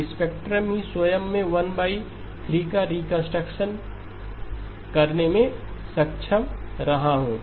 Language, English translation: Hindi, So the spectrum itself I have been able to reconstruct 1 by 3